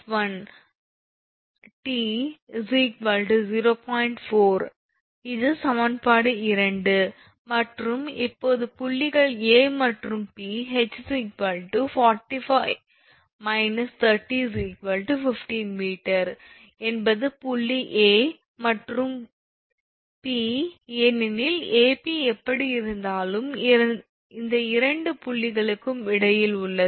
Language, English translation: Tamil, 4 this is equation – 2 and the now for points A and P, h is equal to 45 minus 30 that is 15 meter that is point A and P because A P is the anyway midway between this two point A and B